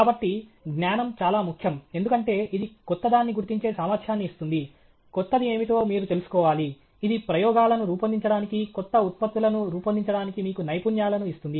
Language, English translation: Telugu, So, knowledge is very important because it gives you the ability to recognize what is new, you should know what is new okay; it also gives you the skills to design experiments, design new products okay